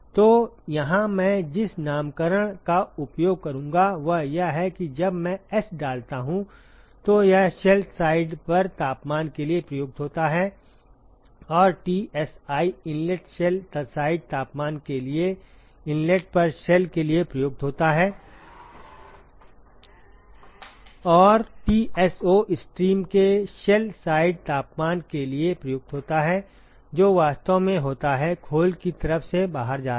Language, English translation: Hindi, So, here the nomenclature I will use is when I put S it stands for temperature on the shell side and Tsi stands for the ins shell side temperature at the inlet to the shell and Tso stands for the shell side temperature of the stream that is actually going out of the shell side